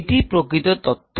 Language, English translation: Bengali, let's actual data